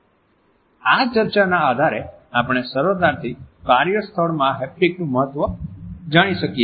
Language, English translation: Gujarati, On the basis of this discussion we can easily make out the haptics is pretty significant in the workplace